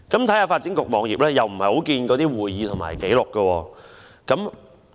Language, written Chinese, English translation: Cantonese, 在發展局網頁，我們看不到相關的會議紀錄。, In the web pages of the Development Bureau we cannot find the relevant minutes of meetings